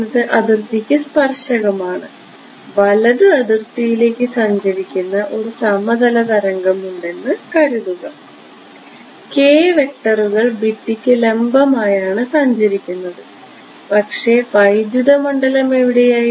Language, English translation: Malayalam, E y is tangent to the boundary, but imagine a plane where that is travelling towards to the right boundary the k vectors going to be perpendicular to the wall, but where was the electric field